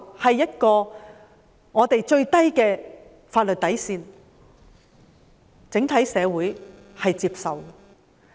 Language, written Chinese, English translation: Cantonese, 這是本港法律的底線，整體社會是接受的。, This is the bottom line of the laws in Hong Kong commonly acceptable by the entire community